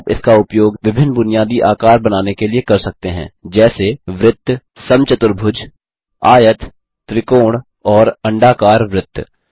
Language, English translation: Hindi, You can use it to draw a variety of basic shapes such as circles, squares, rectangles, triangles and ovals